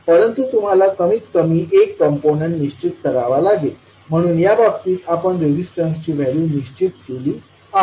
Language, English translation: Marathi, But you have to fix at least one component, so in this case we fixed the value of Resistance R